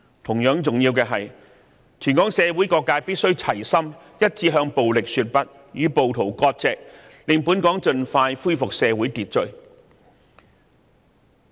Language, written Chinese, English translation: Cantonese, 同樣重要的是，香港社會各界必須齊心一致，向暴力說"不"，與暴徒割席，以期盡快恢復社會秩序。, Equally important is that in order to restore social order as soon as possible various sectors of Hong Kong society must in solidarity say No to violence and severe ties with the rioters